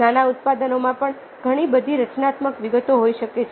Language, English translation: Gujarati, even small products can, these can have a lot of creative details